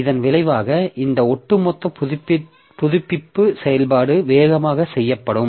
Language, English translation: Tamil, And as a result, this overall update operation will done faster